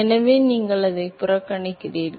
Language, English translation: Tamil, So, you ignore it